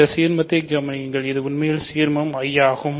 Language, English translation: Tamil, So, consider this ideal, this is actually an ideal I